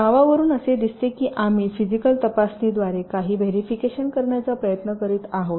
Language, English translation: Marathi, as the name implies, we are trying to verify something through physical inspection